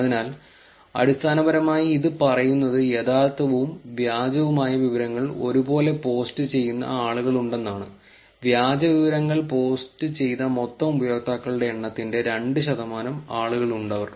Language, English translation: Malayalam, So, essentially this is saying that there are people who are posting both real and fake information, there are people who are 2 percent of the total number of unique users who posted fake information also